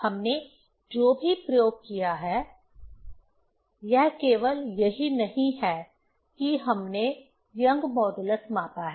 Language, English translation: Hindi, Whatever experiment we have done, this is not only that we have measured the young modulus